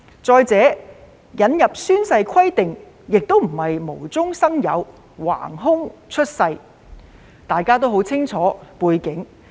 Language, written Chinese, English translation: Cantonese, 再者，引入宣誓規定並非無中生有，橫空出世，大家都很清楚背景。, Moreover the introduction of the oath - taking requirement is not something created out of thin air and we are well aware of the background